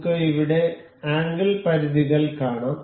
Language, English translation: Malayalam, We can see here angle limits